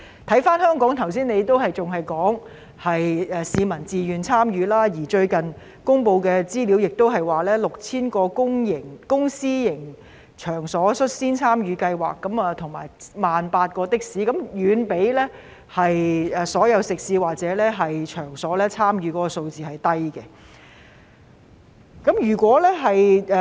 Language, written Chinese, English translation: Cantonese, 看回香港，局長剛才仍只是說市民是自願參與，而最近公布的資料顯示，超過10000個公私營場所已率先參與計劃，以及有18000多輛的士使用這個應用程式，但與總數相比，參與的食肆或場所的數字甚低。, Looking back at Hong Kong just now the Secretary still merely said that public participation is voluntary . As shown by the recently released information over 10 000 public and private venues have taken the lead in participating in the scheme and more than 18 000 taxis are using this app . However the number of participating restaurants or venues is small compared to the total number